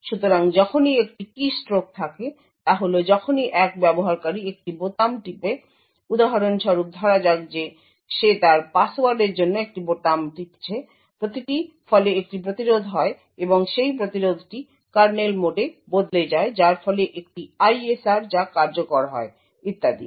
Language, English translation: Bengali, So whenever there is a keystroke that is whenever a user presses a key for example let us say he is pressing a key with respect to his password, each keystroke results in an interrupt the interrupt results in a switch to kernel mode, there is an ISR that gets executed and so on